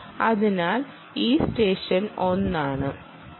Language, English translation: Malayalam, so this is session one